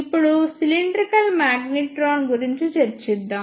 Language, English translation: Telugu, Now, let us discuss the cylindrical magnetron